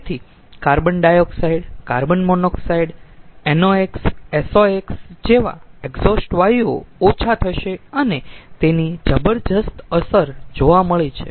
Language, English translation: Gujarati, so the exhaust gases like carbon dioxide, carbon monoxide, nox, sox, everything will reduce and it has got tremendous effect